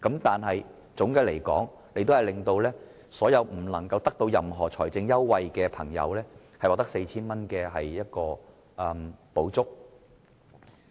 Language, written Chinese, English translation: Cantonese, 但總的來說，司長令所有得不到任何財政優惠的朋友獲得 4,000 元的補助。, All in all the Financial Secretary has made it possible for people who are not entitled to any fiscal benefit to have 4,000 as a subsidy